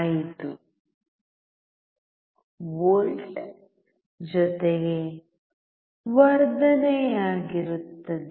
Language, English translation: Kannada, 5V plus amplification